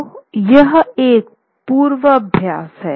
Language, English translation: Hindi, So this is a foreboding